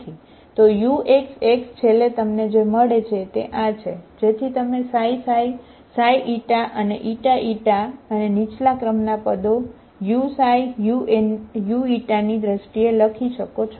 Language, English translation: Gujarati, So uxx, finally what you get is this one, so you can write in terms of xi xi, xi Eta and Eta Eta plus lower order terms in terms of u xi, u Eta, okay